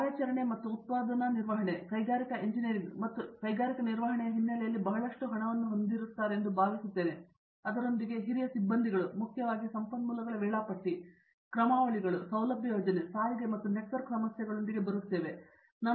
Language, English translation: Kannada, Operation and production management, I think this owes a lot to the industrial engineering and industrial management background with which the senior faculty came with problems which were mainly focused on resource scheduling, algorithms, coming up with facility planning, transportation and network problems